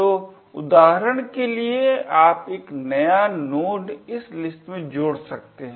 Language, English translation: Hindi, So, for example you could add a new node to this list